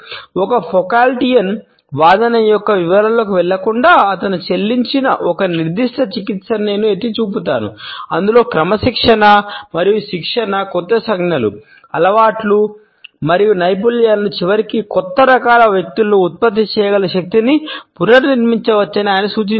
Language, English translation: Telugu, Without going into the details of a Foucauldian argument I would simply point out to a particular treatment which he had paid wherein he had suggested that discipline and training can reconstruct power to produce new gestures, actions, habits and skills and ultimately new kinds of people